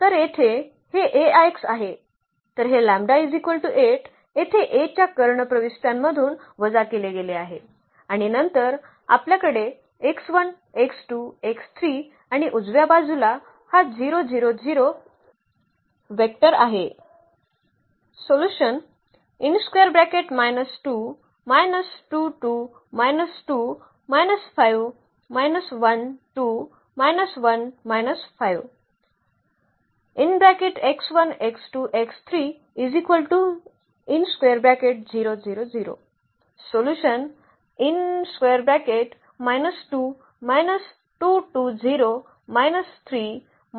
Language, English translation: Marathi, So, here this is a minus lambda I; so, this lambda means 8 here was subtracted from the diagonal entries of A and then we have x 1 x 2 x 3 and the right hand side this 0 vector